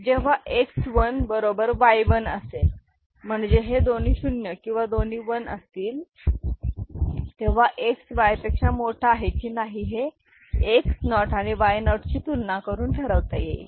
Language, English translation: Marathi, So, when X 1 is equal to Y 1 that both of them are 0 or both of them are 1, then whether X is greater than Y or not is decided by the you know, X naught Y naught comparison, right